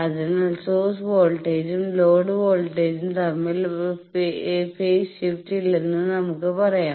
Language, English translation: Malayalam, So, we can say that there is no phase shift between the source voltage and load voltage